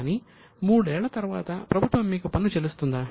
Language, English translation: Telugu, Does it mean after three years government will pay you tax